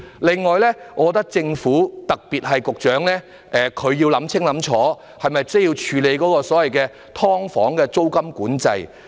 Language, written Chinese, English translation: Cantonese, 此外，我覺得政府——特別是局長——要考慮清楚，是否需要處理所謂"劏房"的租金管制。, Moreover I think that the Government―particularly the Secretary―needs to carefully contemplate whether it is necessary to handle the rental control of the so - called subdivided units